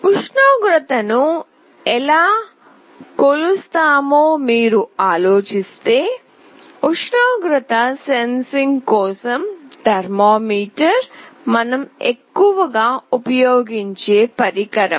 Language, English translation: Telugu, If you think of how we measure temperature, thermometer is the most widely used instrument for temperature sensing